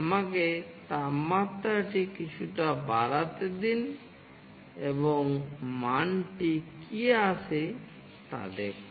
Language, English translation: Bengali, It is little bit fluctuating Let me increase the temperature a bit and see what value comes